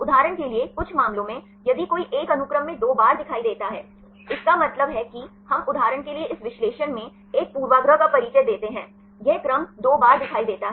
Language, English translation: Hindi, In some cases for example, if one of the sequences appear twice; that means, we introduce a bias in this analysis for example, these sequence appears twice